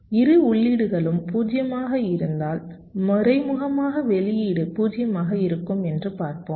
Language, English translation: Tamil, lets see that we indirectly, the output will be zero if both the inputs are zero, right